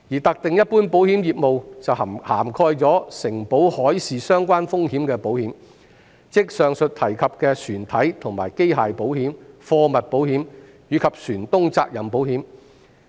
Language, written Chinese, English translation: Cantonese, 特定一般保險業務涵蓋承保海事相關風險的保險，即以上提及的船體和機械保險、貨物保險，以及船東責任保險。, Selected general insurance business covers the underwriting of maritime - related risks ie . the hull and machinery cargo insurance and shipowners liabilities mentioned above